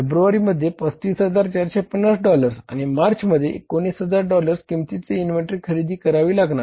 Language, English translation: Marathi, February, 35,450 and then is the March 19,000 worth of dollars inventory